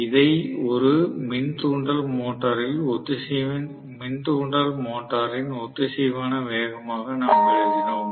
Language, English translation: Tamil, This we wrote as the synchronous speed in an induction motor